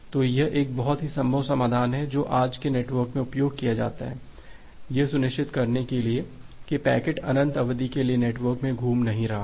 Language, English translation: Hindi, So, this is a very feasible solution which is in that used in today’s network, to ensure that a packet is not hopping in the network for infinite duration